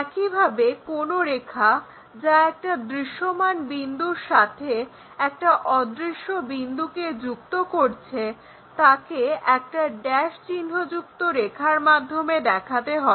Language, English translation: Bengali, Similarly, any line connecting a visible point and an invisible point is a dash invisible line